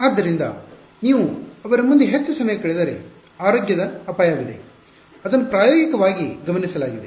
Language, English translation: Kannada, So, if you spend too much time in front of them there is a health risk which empirically has been observed